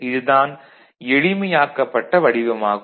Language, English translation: Tamil, So, this is the simplified version for A